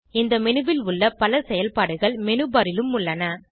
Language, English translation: Tamil, Most of the functions in this menu are duplicated in the menu bar